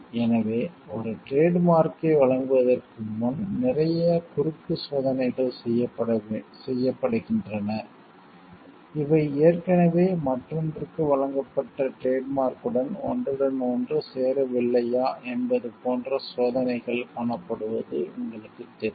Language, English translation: Tamil, So, before granting a trademark a lot of cross checks is done lot of you know checks are seen to see like whether these are not already overlapping with the trademark that is given to another onwer